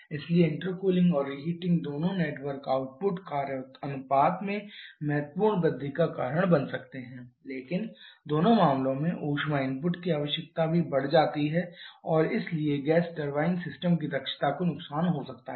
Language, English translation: Hindi, So, both intercooling and reheating can cause significant increase in the network output and work ratio but heat input requirement also increases in both the cases and therefore the efficiency of the gas turbine system may suffer